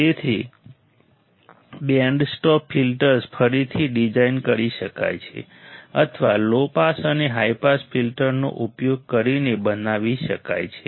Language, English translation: Gujarati, So, band stop filters can be again design or can be formed by using low pass and high pass filter